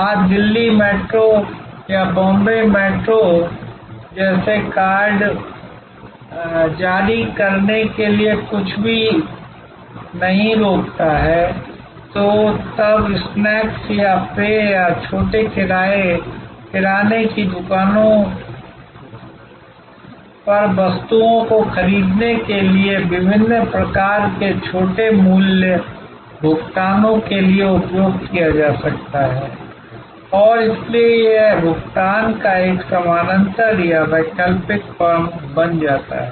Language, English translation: Hindi, Today, nothing stops Delhi Metro or Bombay Metro to issue such cards, which can then be used for different kinds of small value payments for buying snacks or drinks or small grocery items and so it becomes a parallel or an alternate firm of payment